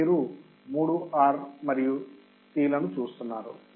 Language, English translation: Telugu, Here you can see 3 R and Cs right